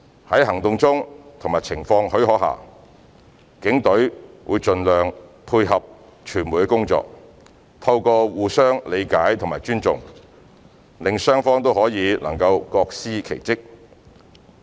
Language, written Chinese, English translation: Cantonese, 在行動中及情況許可下，警隊會盡量配合傳媒的工作，透過互相理解和尊重，令雙方都能各司其職。, During operations and where circumstances permit the Police will endeavour to facilitate the work of the media on the basis of mutual understanding and respect so that both sides can perform their respective functions